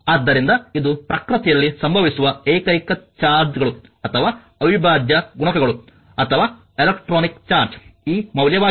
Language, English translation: Kannada, So, this is your the only charges that occur in nature or integral multiples or the electronic charge that is this value